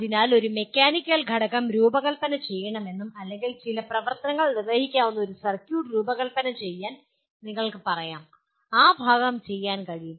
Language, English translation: Malayalam, So you can say a mechanical component should be designed or a circuit that can be designed to perform some function, that part can be done